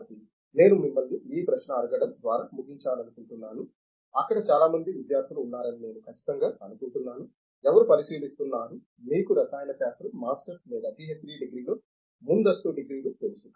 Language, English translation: Telugu, So, I would like to conclude this discussion by asking you this, I am sure there are lot of students out there, who are considering, you know advance degrees in chemistry masters degree or a PhD degree